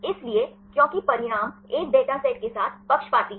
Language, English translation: Hindi, So, because the results are biased with a dataset right